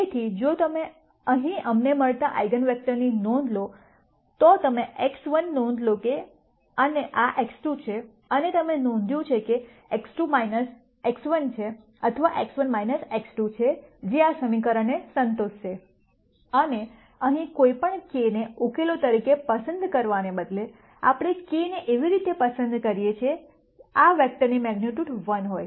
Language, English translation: Gujarati, So, if you notice here the eigenvector that we get, you notice that x 1, and this is x 2 and you notice that x 2 is minus x 1 or x 1 is minus x 2, which is what will satisfy this equation and instead of picking any k minus k as a solution here, we pick a k in such a way that the magnitude of this vector is 1